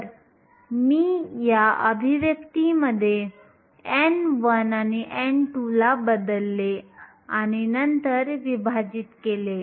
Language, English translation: Marathi, So, all I did was substitute for n 1 and n 2 in this expression and then divide